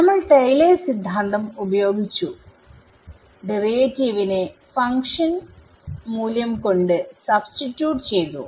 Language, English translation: Malayalam, We use Taylor's theorem, we substituted a derivative by function value itself